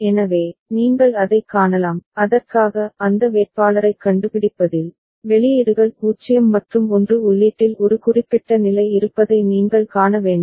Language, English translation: Tamil, So, you can see that, for that finding that candidate, you have to see that a particular state at the input of which there are outputs 0 as well as 1